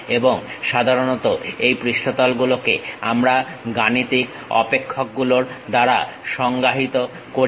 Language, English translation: Bengali, And, usually these surfaces we define it by mathematical functions